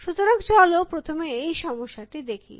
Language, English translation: Bengali, So, let us first address that problem